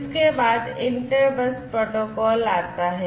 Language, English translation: Hindi, Next, comes the inter bus protocol